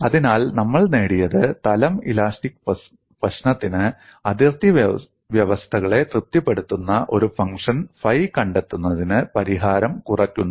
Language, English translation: Malayalam, So, what we have achieved is, for plane elastic problem, the solution reduces to finding a function phi satisfying the boundary conditions